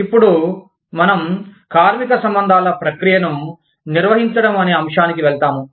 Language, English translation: Telugu, Now, we will move on to the topic of, Managing the Labor Relations Process